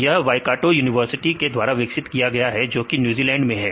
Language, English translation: Hindi, So, it has developed in the University of Waikato; so that is in a New Zealand